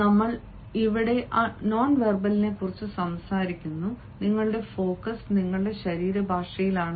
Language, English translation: Malayalam, when say nonverbal here, our focus is on your body language